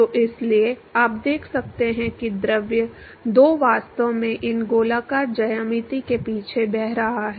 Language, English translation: Hindi, So, therefore, you can see the fluid two is actually flowing past these circular geometry